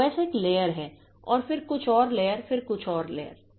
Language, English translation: Hindi, So, OS is a layer then some another layer, then some another layer